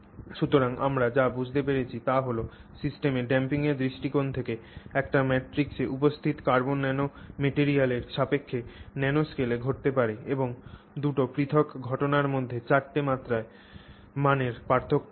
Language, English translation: Bengali, So, what we understand is that there is four orders of magnitude difference between two different phenomena that may happen at the nano scale with respect to carbon nanomaterials present in a matrix from the perspective of damping in that system